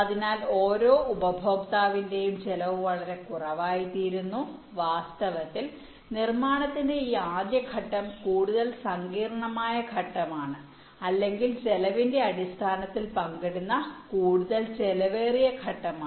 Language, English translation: Malayalam, ok, so the per customers cost become much less and in fact this first step of fabrication is the more complex step or the more expensive step which is shared in terms of cost